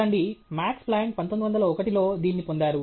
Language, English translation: Telugu, See, Max Planck got this in 1901 okay